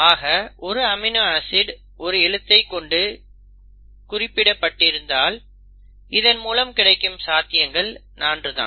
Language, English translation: Tamil, So if you have each alphabet coding for one amino acid you have only 4 possibilities